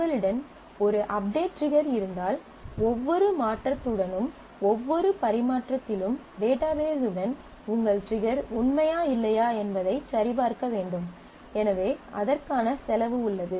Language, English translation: Tamil, If you have an update trigger on a field or a relation, then with every transaction with every change the database has to check if your trigger is true or not and so therefore, there is a cost to that